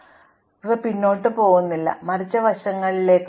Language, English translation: Malayalam, And finally, there are some edges which are neither going forward nor backward, but sideways